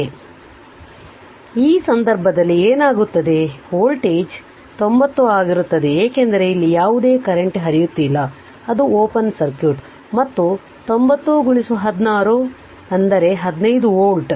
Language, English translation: Kannada, So, in that case what will happen the voltage across this will be 90 because, this no current is flowing here it is open circuit and 90 into your 1 by 6 that is your 15 volt right